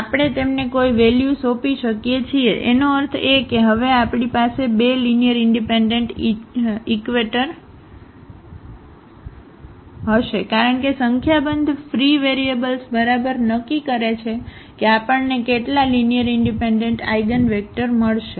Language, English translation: Gujarati, So, we can assign any value to them; that means, we are going to have now two linearly independent eigenvectors because a number of free variables decide exactly how many linearly independent eigenvectors we will get